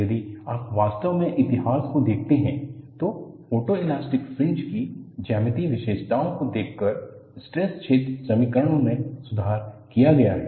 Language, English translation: Hindi, If you really look at the history, the stress field equations have been improved by looking at the geometric features of the photoelastic fringe